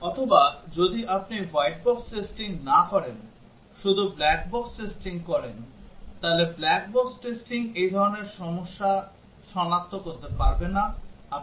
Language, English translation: Bengali, Or if you do not do white box testing, do only black box testing then black box testing will not be able to detect this kind of problems, I have to give examples